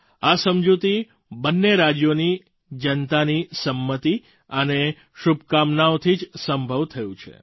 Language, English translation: Gujarati, This agreement was made possible only because of the consent and good wishes of people from both the states